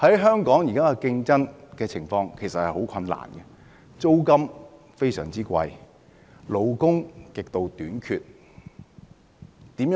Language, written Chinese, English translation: Cantonese, 香港現時的經營情況其實十分困難，租金非常高，勞工極度短缺。, The current business condition in Hong Kong is indeed very difficult . Given the sky - high rents and a severe shortage of labour how can costs be possibly reduced?